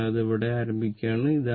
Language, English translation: Malayalam, So, here it is starting